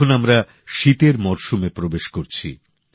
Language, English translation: Bengali, We are now stepping into the winter season